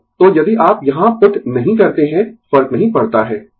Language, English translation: Hindi, So, so if you do not put here, does not matter